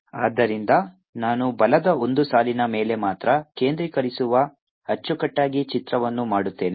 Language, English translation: Kannada, so let me make a picture now, concentrating only on one line of force